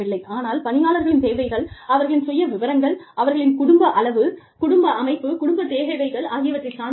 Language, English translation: Tamil, But, their needs would depend, on their demographic status, their family size, family structure, family needs